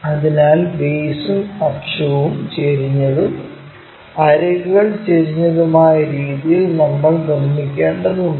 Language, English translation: Malayalam, So, we have to construct in such a way that base and axis are inclined and edge also supposed to be inclined